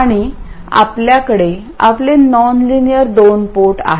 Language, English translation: Marathi, We have our non linear 2 port